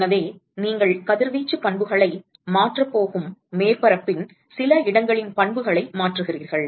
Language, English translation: Tamil, So, you change the properties of some locations of the surface you are going to change the radiation properties